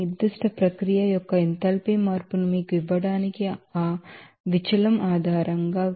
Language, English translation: Telugu, So, based on that deviation to give you that enthalpy change of this particular processes